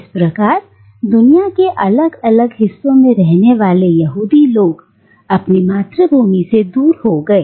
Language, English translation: Hindi, That is, the Jewish people who live in different parts of the world dispersed from their homeland